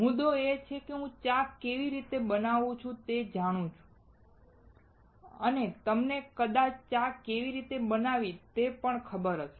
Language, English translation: Gujarati, The point is I know how to make a tea, and you probably would know how to make a tea as well